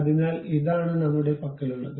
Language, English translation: Malayalam, So, this is the object what we have